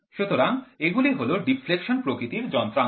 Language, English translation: Bengali, So, these are the deflection type instruments